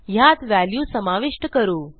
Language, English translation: Marathi, And you can insert values in them